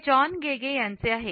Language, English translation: Marathi, It is by John Gage